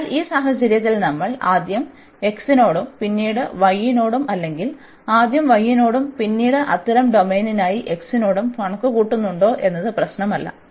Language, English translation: Malayalam, So, in this case it does not matter whether we first compute with respect to x and then with respect to y or first with respect to y and then with respect to x for such domain